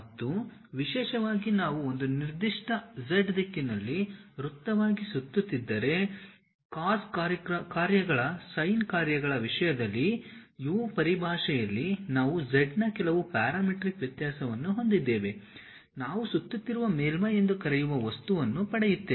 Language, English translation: Kannada, And, especially we have some parametric variation r of z in terms of u in terms of cos functions sin functions if I am going to revolve as a circle along one particular z direction, we will get the object which we call revolved surfaces